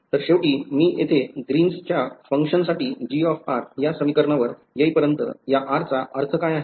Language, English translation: Marathi, So, finally, by the time I come to the expression for Green’s function over here G of r, what is the meaning of this r